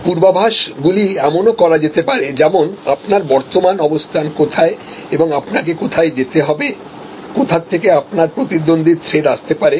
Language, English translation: Bengali, So, predictions can be made of even, that where your current position and where you need to go are where you can go are where your competitive threats can come from